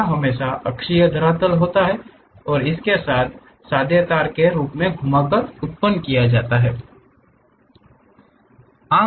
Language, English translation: Hindi, This always be axisymmetric surface and it can be generated by rotating a plain wire form